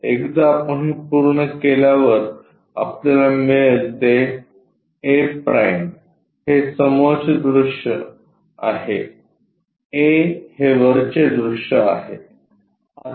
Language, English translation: Marathi, Once we are done this a’ is the front view a is the top view we will get